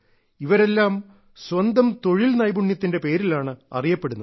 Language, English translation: Malayalam, All of them are known only because of their skill